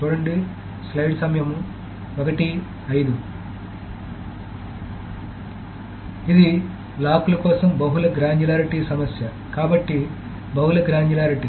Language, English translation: Telugu, So, this is the issue of multiple granularity for locks